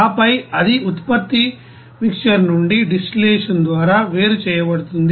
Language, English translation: Telugu, And then it is separated by distillation from the product mixer